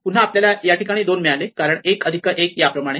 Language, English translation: Marathi, So, we got 2 here is because it is 1 plus 1